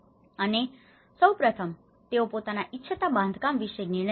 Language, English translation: Gujarati, And first of all, making their own decisions about the construction they wanted